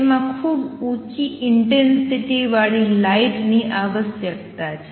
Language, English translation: Gujarati, It required very high intensity light